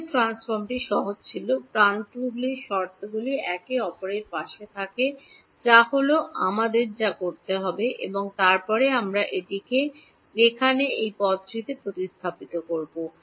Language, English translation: Bengali, Fourier transform was simple, the edges are keeping the terms aligned next to each other are what we have to do and then we will substitute this into this term over here